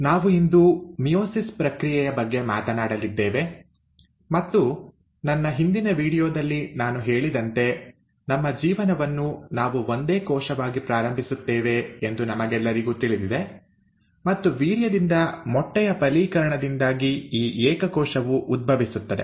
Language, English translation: Kannada, Now today we are going to talk about the process of meiosis, and as I had mentioned in my previous video, we all know that we start our life as a single cell, and this single cell arises because of the fertilization of egg by a sperm